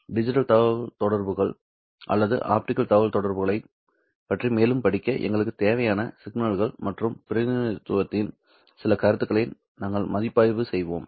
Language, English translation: Tamil, In this short module we will review some concepts of signals and representation that is necessary for us to further study digital communications or rather digital optical communications